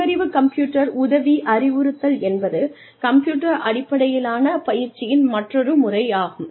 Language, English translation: Tamil, Intelligent computer assisted instruction, is another method of computer based training